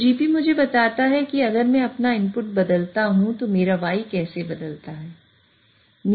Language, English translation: Hindi, So, GP tells me if I change my input, how does my Y change